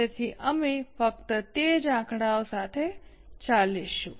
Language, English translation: Gujarati, So, we will just continue with the same figures